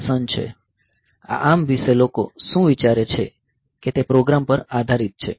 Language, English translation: Gujarati, So, what this ARM people thought possibly is that it depends on the program